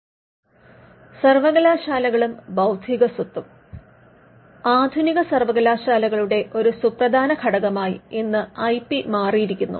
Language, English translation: Malayalam, Universities and Intellectual Property: Today IP has become one of the important components of a modern universities